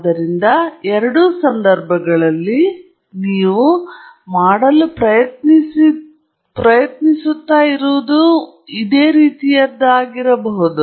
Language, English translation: Kannada, So, in both these cases, you are trying to do may be something similar